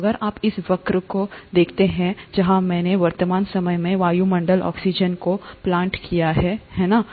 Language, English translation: Hindi, So if you see this curve where I have plotted atmospheric oxygen at the present day, right